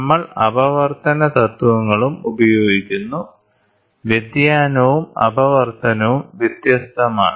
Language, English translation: Malayalam, So, we also use refraction principles; diffraction and refraction are different